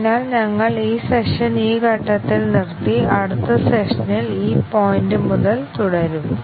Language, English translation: Malayalam, So, we will stop this session at this point and continue from this point onwards in the next session